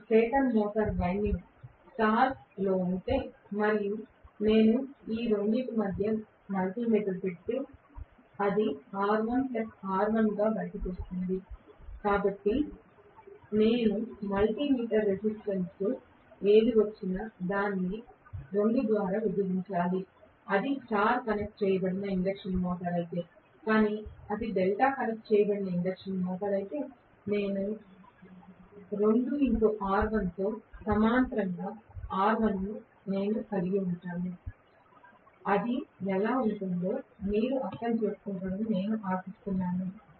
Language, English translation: Telugu, If my stator winding is in star and I put a multi meter between these 2 it will come out to be R1 plus R1, so whatever I get as the multi meter resistance I have to divide that by 2 if it is a star connected induction motor, but if it is delta connected induction motor I will have R1 in parallel with 2 R1 right that is how it will be, I hope you understand